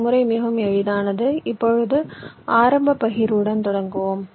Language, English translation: Tamil, here the idea is that we start with an initial partition